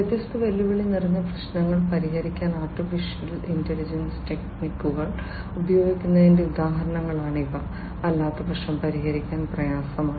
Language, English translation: Malayalam, These are all examples of use of AI techniques to solve different challenging problems, which otherwise are difficult to solve